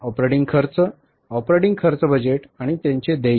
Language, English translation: Marathi, Operating expenses, operating expenses budget and their payment